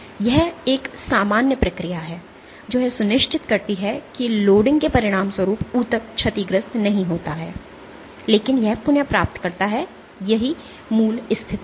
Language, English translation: Hindi, So, this is and a normal process which ensures that the tissue does not get damaged as a consequence of loading, but it regains it is original position